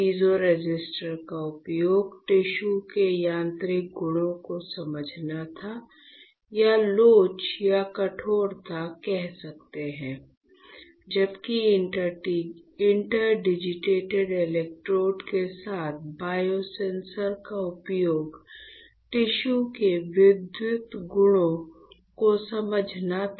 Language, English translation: Hindi, The use of the piezo resistor was to understand the mechanical properties of the tissue or you can say elasticity or you can say stiffness; while the use of the biosensor with interdigitated electrodes was to understand the electrical properties of the tissue